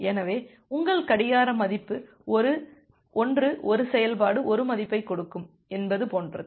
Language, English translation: Tamil, So, it is like that your clock value will give 1 one function 1 value